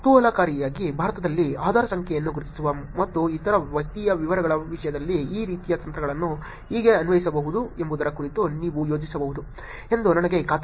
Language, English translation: Kannada, Interestingly I am sure you could also think about how these kinds of techniques can be applied in terms of identifying Adhaar number in India also and other personal details